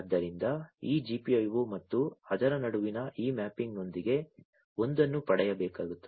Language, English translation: Kannada, So, with this mapping between this GPIO and that one will have to be derived